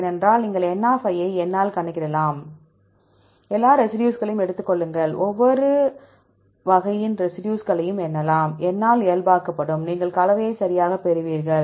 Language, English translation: Tamil, Because just you can calculate n by N, take all the residues, count the residues of each type, normalized by N, you will get the composition right